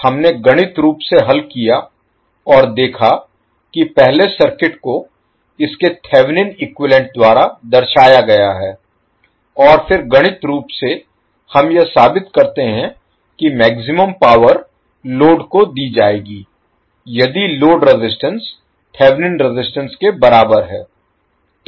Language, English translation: Hindi, We solved mathematically and saw that the first the circuit is represented by its Thevenin equivalent and then mathematically we prove that maximum power would be deliver to the load, if load resistance is equal to Thevenin resistance